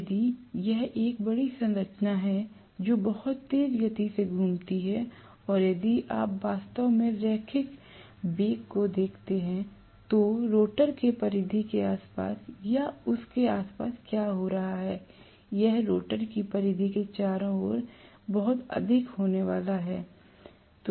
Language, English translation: Hindi, If it is a large structure rotating at a very high speed and if you actually look at the linear velocity what is going on around the rim of or around the peripheral surface of the rotor that is going to be enormously high